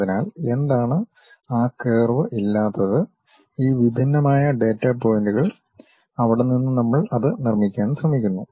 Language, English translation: Malayalam, So, what is that curve does not exist what we have these discrete data points, from there we are trying to construct it